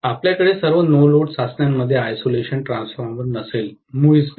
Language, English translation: Marathi, You will not have an isolation transformer in all the no load tests, not at all